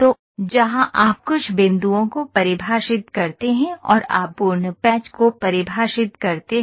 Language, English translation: Hindi, So, where in which you define certain points and you define the complete patch